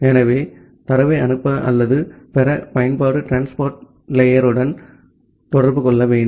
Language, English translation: Tamil, So, the application have to interact with the transport layer to send or receive data